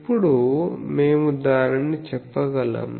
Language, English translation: Telugu, Now, we can say that